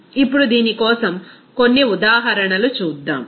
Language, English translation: Telugu, Now, let us do some examples for this